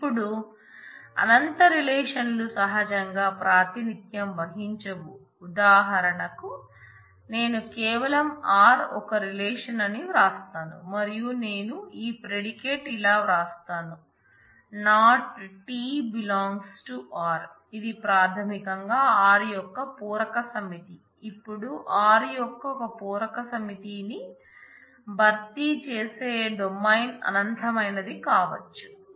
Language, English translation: Telugu, Now, infinite relations are naturally not representable for example, if I write simply this that r is a relation and I write this predicate that not of t belongs to r, which is basically complement set of r now a complement set of r potentially may be infinite if the domain is infinite